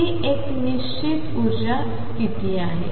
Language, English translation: Marathi, That is a fixed energy state all right